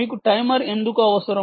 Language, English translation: Telugu, and why do you need the timer